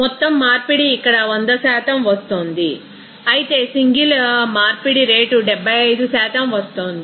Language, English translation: Telugu, Overall conversion as far as here it is coming 100% whereas single conversion rate is coming 75%